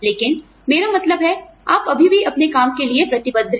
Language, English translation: Hindi, But, I mean, in you are, still committed to your work